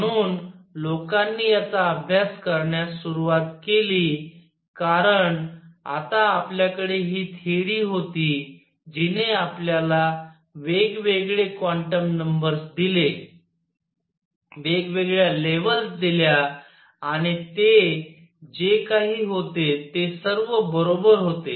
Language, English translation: Marathi, So, people started investigating these, because now we had this theory that gave us different quantum numbers, different levels and what all was there all right